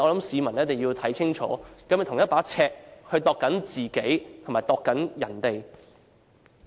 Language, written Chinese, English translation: Cantonese, 市民一定要看清楚，他是否用同一把尺來量度自己和別人。, Members of the public must see clearly for themselves and determine whether he has used the same yardstick to measure himself and other people